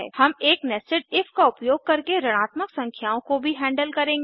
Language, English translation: Hindi, we will also handle negative numbers using a nested if